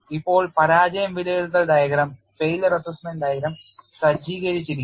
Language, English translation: Malayalam, Now you are equipped with failure assessment diagram